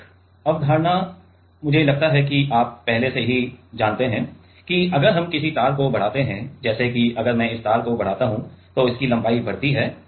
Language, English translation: Hindi, One concept I suppose that you have already you already know that is if we elongate any wire like a if I elongate this wire let us say then it is length increases right